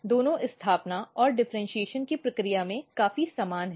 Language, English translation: Hindi, Both are quite similar in process of establishment and differentiation